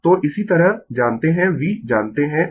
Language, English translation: Hindi, So, similarly you know v you know omega